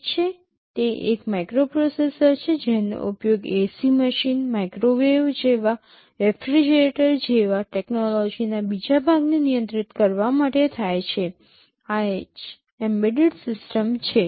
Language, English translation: Gujarati, Well it is a microprocessor used to control another piece of technology like ac machine, like microwave, like refrigerator and so on, this is what an embedded system is